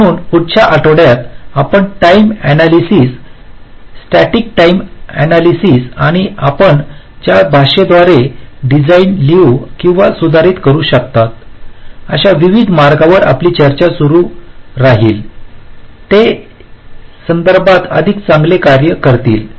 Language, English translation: Marathi, so in the next week we shall be starting our discussion on the timing analysis, the various ways you can carry out timing analysis, static timing analysis and ways in which you can annotate or modify a design so that they perform better with respect to timing